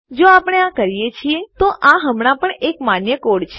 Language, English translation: Gujarati, If we do this, this is still a valid code